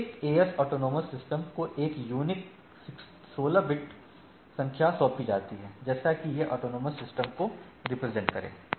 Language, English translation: Hindi, Each AS autonomous system is assigned a unique 16 bit number, like this is a scenario of autonomous systems